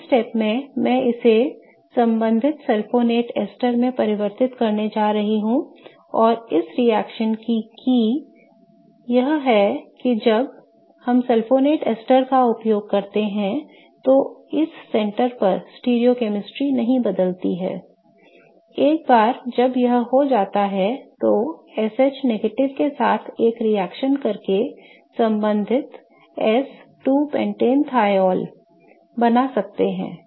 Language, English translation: Hindi, In the first step I am going to convert it to the corresponding sulfony tester and the key to this reaction is that to see that the stereochemistry at this center doesn't change as we use sulfonate esters